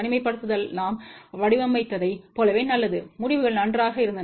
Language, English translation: Tamil, Isolation is as good as we had designed so, the results were pretty good ok